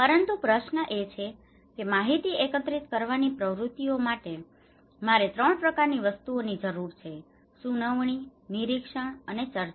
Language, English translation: Gujarati, So, but the question is; I need 3 kind of things, activities to be involved to collect information; one is hearing, observation and discussions